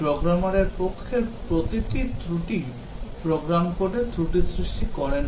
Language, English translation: Bengali, Every error on the part of the programmer need not cause a fault in the program code